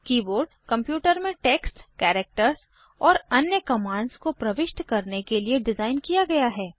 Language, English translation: Hindi, The keyboard is designed to enter text, characters and other commands into a computer